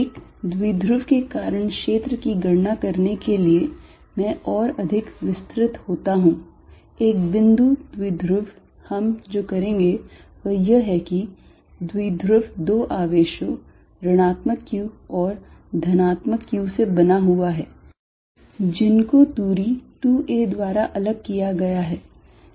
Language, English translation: Hindi, To calculate the field due to a dipole, I am going to be more specific a point dipole what we are going to do is take the dipole to be made up of 2 charges minus q and plus q separated by distance 2a